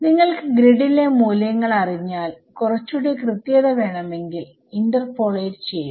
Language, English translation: Malayalam, Once you know values on the grid, if you want finer then that interpolate ok